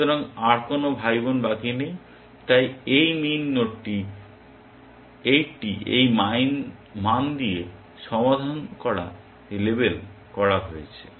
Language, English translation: Bengali, So, no more siblings are left so, this min node gets label solved with the value of 80